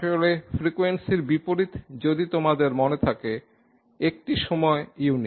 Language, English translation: Bengali, In fact the inverse of the frequency if you remember has a time unit